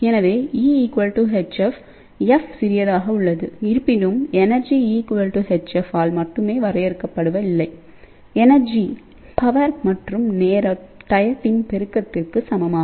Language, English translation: Tamil, So, E is equal to Hf; f is smaller; however, energy is not defined only by E equal to Hf energy is also equal to power multiplied by time